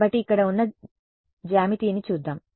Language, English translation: Telugu, So, the let us look at the geometry over here